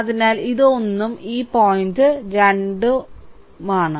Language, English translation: Malayalam, So, this is 1 and this point is 2 right